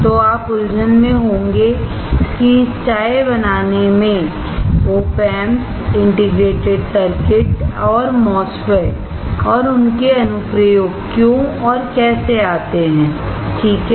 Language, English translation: Hindi, So, you will be confused why and how come this OP Amps, integrated circuits and MOSFETS and their application has something to do with tea, right